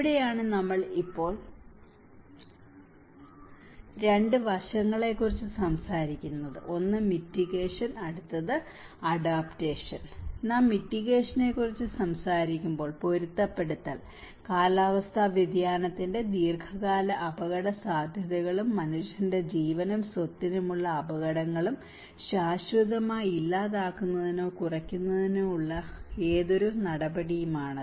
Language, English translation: Malayalam, And this is where now we are talking about 2 aspects; one is the mitigation, and adaptation when we talk about mitigation, it is any action taken to permanently eliminate or reduce the long term risks and hazards of climate change to human life and property